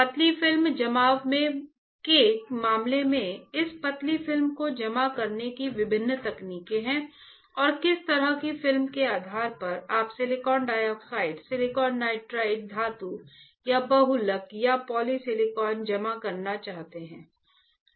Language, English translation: Hindi, In case of thin film deposition, there are various techniques to deposit this thin film right and depending on what kind of film, you want to deposit silicon dioxide silicon nitride metal or polymer or polysilicon